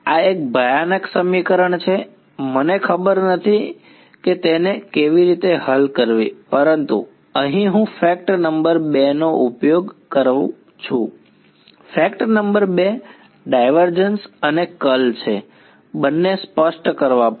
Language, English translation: Gujarati, This is a horrendous equation I do not know how to solve it right, but here is where I use fact number 2; fact number 2 is divergence and curl both have to be specified